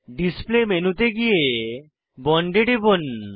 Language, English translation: Bengali, Click on the Display menu and select Bond